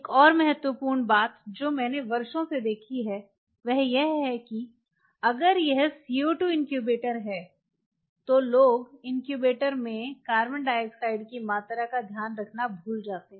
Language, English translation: Hindi, Another important thing what I have observed over the years is people forget to keep track of if it is a CO2 incubator of the amount of CO2 in the incubator